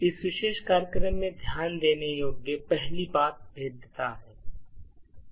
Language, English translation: Hindi, The first thing to note in this particular program is the vulnerability